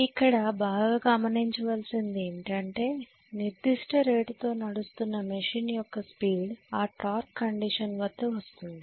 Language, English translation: Telugu, Then you can very well note that this is the speed at which the machine is going to run at this particular rate at torque condition